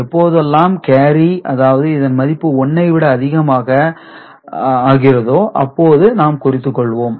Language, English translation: Tamil, And whenever there is a carry that is value becomes more than 1 right, we note it here